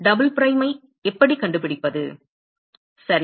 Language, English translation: Tamil, How do we find qs double prime ok